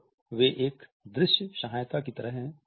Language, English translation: Hindi, So, they like a visual aid